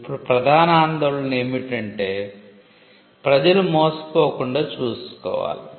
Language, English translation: Telugu, Now, the main concern was to ensure that, people do not get defrauded